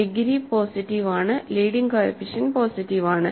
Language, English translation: Malayalam, The degree is positive, leading coefficient is positive